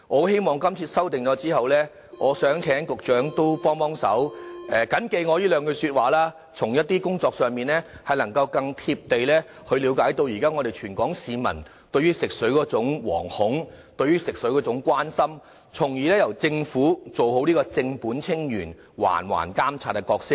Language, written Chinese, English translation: Cantonese, 希望今次修訂後，請局長緊記我這兩句說話，在工作時更貼地了解到現在全港市民對於食水的惶恐和關心，從而由政府做好正本清源、環環監察的角色。, I hope that the Secretary will bear these words in mind and be more attentive to the fear and worries of the public about the drinking water quality . Following the passage of the amendments the Secretary should step up water quality monitoring at each and every part of the entire water supply system so as to tackle the problem at root